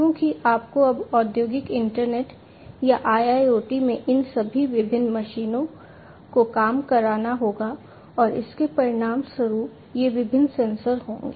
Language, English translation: Hindi, Because you have to now in the industrial internet or IIoT you have to internet work all these different machines and consequently these different sensors